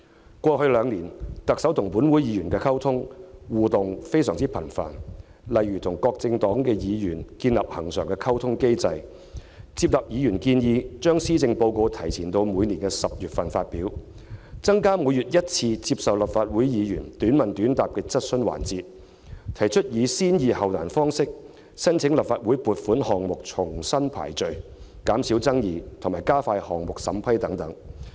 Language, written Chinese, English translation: Cantonese, 在過去兩年，特首與本會議員的溝通及互動相當頻繁，例如：與各政黨議員建立恆常溝通機制；接納議員建議，把施政報告提前到每年10月發表；增加每月一次接受立法會議員"短問短答"的質詢環節；及提出以"先易後難"方式將申請立法會撥款項目重新排序，以減少爭議及加快項目審批等。, Over the past two years the Chief Executive has engaged herself in fairly frequent communication and interaction with Members of this Council . Some examples are establishment of a regular communication mechanism with Members of various political parties acceptance of Members suggestion of advancing the presentation of the Policy Address to October every year addition of a monthly Question Time to take questions from Members in a short question short answer format the proposal of rearranging funding applications to the Legislative Council using the approach of easy ones first and difficult ones later so as to minimize disputes and expedite the approval of projects etc